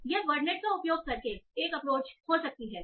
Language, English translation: Hindi, So, this can be one approach using wordnet